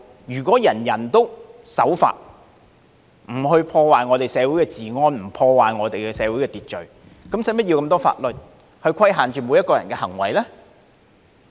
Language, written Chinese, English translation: Cantonese, 如果人人都守法，不去破壞社會治安，不去破壞社會秩序，便無須這麼多法律去規限每個人的行為。, If everybody abides by the law and refrains from upsetting law and order in society it will not be necessary to enact so many laws to restrict peoples conduct